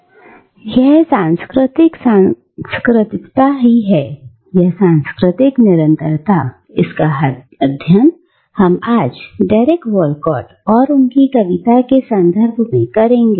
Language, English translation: Hindi, And it is this cultural cosmopolitanism, or multiple cultural belongingness that we will study today with reference to Derek Walcott and his poetry